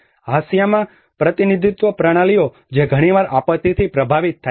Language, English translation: Gujarati, The marginalized representation systems who often get affected by the disaster